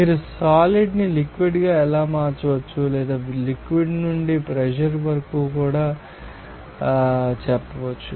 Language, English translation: Telugu, How you can change the solid to liquid or you can say that from liquid to vapour also